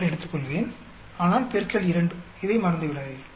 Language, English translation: Tamil, 6 square but multiply by 2, do not forget this